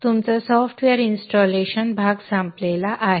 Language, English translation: Marathi, Your software installation portion is over